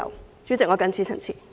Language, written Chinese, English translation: Cantonese, 代理主席，我謹此陳辭。, This is our request . Deputy President I so submit